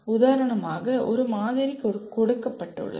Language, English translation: Tamil, For example, one sample is given